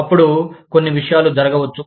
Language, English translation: Telugu, Then, a few things, might happen